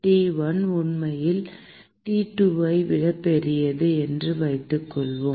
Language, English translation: Tamil, And let us assume that T1 is actually greater than T2